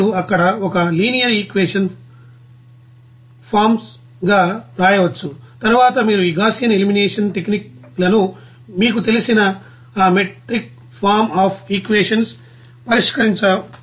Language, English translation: Telugu, And you can write a you know a linear equation forms there as a matrix forms and then you can you know solve that matrix form of those equations by you know this Gaussian elimination techniques